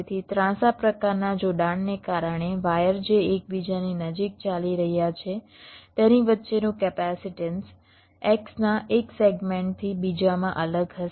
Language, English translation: Gujarati, so because of the slanted kind of connection, the capacitance between the wires which are running closer to each other will be varying from one segment of the x to other